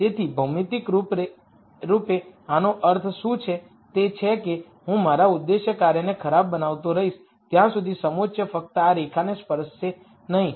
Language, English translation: Gujarati, So, geometrically what this would mean is I keep making my objective function worse till a contour just touches this line